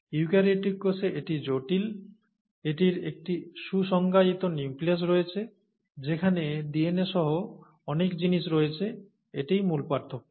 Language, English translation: Bengali, Whereas in the eukaryotic cell, it's complex, it has a well defined nucleus that contains many things including DNA, right